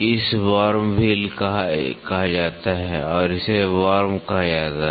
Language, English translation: Hindi, This is called as a worm wheel and this called as a worm